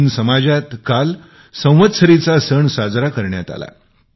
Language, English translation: Marathi, The Jain community celebrated the Samvatsari Parva yesterday